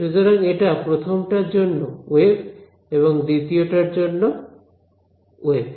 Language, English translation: Bengali, So, this is waves from the first guy and these are waves from the second guy right